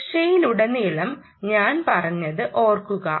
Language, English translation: Malayalam, remember what i have been saying all along: security